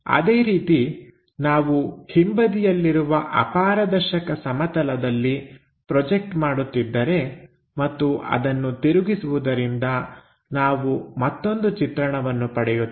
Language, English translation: Kannada, Similarly, if we are projecting on to that plane back side opaque plane and rotate that we will get again another view